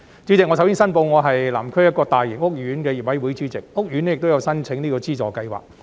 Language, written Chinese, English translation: Cantonese, 主席，首先，我申報我是南區一個大型屋苑的業委會主席，屋苑亦有申請資助計劃。, President first of all I declare that I am the Chairman of the owners committee of a large housing estate in Southern District which has also made an application under the subsidy scheme